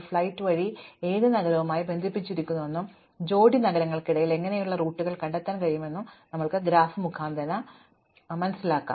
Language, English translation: Malayalam, All we are interested in knowing is which city is connected to which city by a flight and given this what kind of routes can I find between pairs of cities